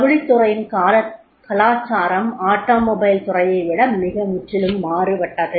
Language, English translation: Tamil, So, the culture of the textile industry is totally different than the automobile industry